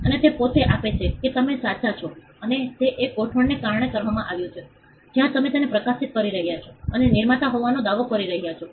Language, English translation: Gujarati, And that itself gives you are right and, that is done because of an arrangement, where you can just publish it and claim to be the creator